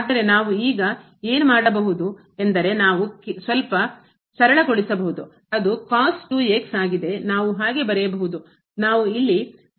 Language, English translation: Kannada, But, what we can do now we can simplify a little bit so, which is we can write down as so, let me just workout here